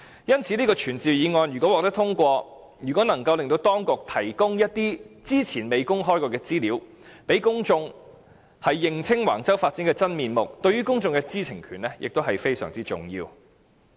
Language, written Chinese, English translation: Cantonese, 因此，如果這項傳召議案獲得通過，能令當局提供一些之前未曾公開的資料，讓公眾認清橫洲發展的真面目，對於公眾的知情權亦非常重要。, Therefore if this motion is passed we can make the authorities provide some information which have not been disclosed the true picture of Wang Chau development can thus be revealed . This is also very important to the publics right to know